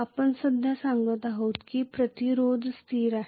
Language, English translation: Marathi, We are telling right now that the resistance is a constant